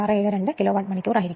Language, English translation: Malayalam, 672 Kilowatt hour